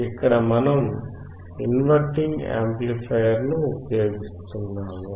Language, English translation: Telugu, Here we are using inverting amplifier